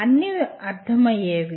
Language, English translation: Telugu, They are comprehensible